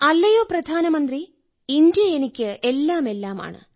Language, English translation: Malayalam, Prime minister ji, India means everything to me